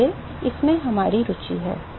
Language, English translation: Hindi, So, that is what we are interested in